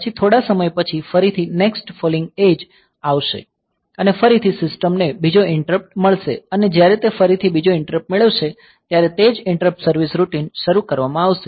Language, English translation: Gujarati, Then after sometimes again the next falling edge will come and again the system will get another interrupt and when it gets another interrupt again the same the interrupt service routine will be invoked